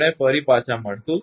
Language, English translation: Gujarati, We will come back again